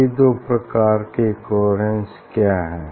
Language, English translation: Hindi, what is these two types of coherence